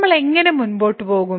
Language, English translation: Malayalam, So, how do we proceed